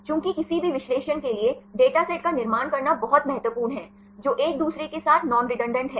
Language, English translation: Hindi, Since it is very important to construct datasets for any analysis, which are non redundant with each other